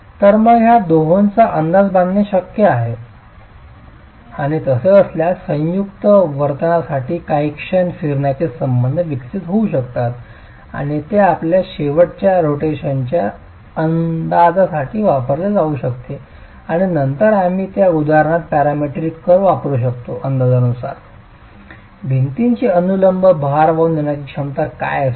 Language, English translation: Marathi, So is it possible to make an estimate of these two and if so can moment rotation relationship for the joint behavior be developed and can that be used for your end rotation estimates and then use it within a within those example parametric curves if you were looking at to estimate what the vertical load carrying capacity of the wall is going to be